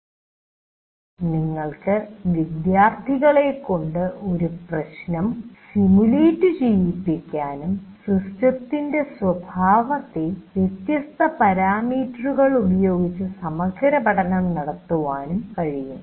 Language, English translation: Malayalam, And also you can make students simulate a problem and explore the behavior of the system with different parameters